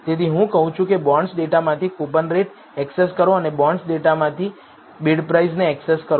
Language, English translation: Gujarati, So, I say access coupon rate from the bonds data and access bid price from the bonds data